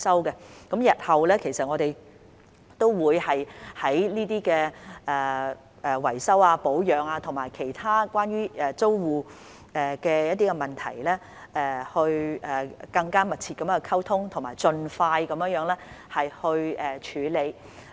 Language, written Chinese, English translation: Cantonese, 我們日後都會就維修保養和其他關於租戶的問題，與他們更加密切溝通，並盡快處理有關問題。, In future we will communicate more closely with them on maintenance and other tenant - related problems and address the problems as soon as possible